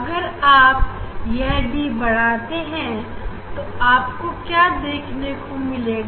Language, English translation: Hindi, when D will increase then what you will see